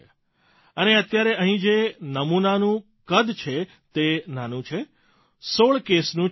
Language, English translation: Gujarati, Here the sample size is tiny Sir…only 16 cases